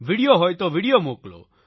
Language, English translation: Gujarati, If it is a video, then share the video